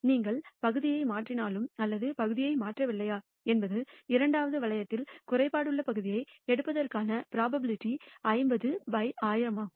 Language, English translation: Tamil, Whether you replace the part or whether you do not replace the part the probability of picking a defective part in the second ring is 50 by 1,000